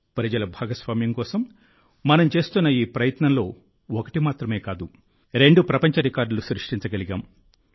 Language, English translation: Telugu, In this effort of ours for public participation, not just one, but two world records have also been created